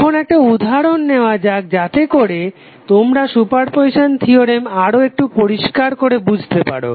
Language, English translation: Bengali, Now let us take one example so that you can understand the super position theorem more clearly